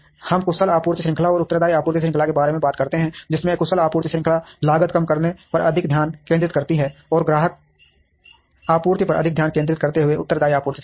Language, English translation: Hindi, We talk about efficient supply chain and responsive supply chain, with efficient supply chain focusing more on cost minimization, and responsive supply chain focusing more on customer delivery